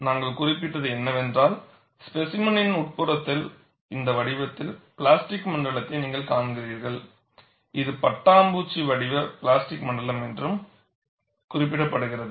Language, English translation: Tamil, And what we had noted was, in the interior of the specimen, you see the plastic zone in this form, which is also referred as butterfly shape plastic zone